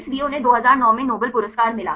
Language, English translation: Hindi, So, they got the Nobel Prize in 2009